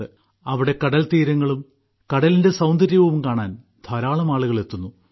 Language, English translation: Malayalam, A large number of people come to see the beaches and marine beauty there